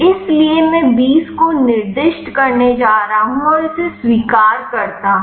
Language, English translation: Hindi, So, I am going to specify 20 and accept this